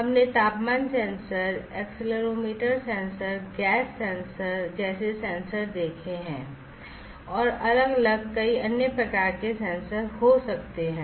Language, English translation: Hindi, We have seen sensors such as temperature sensor, accelerometer sensor, gas sensor, there could be different other several different types of sensors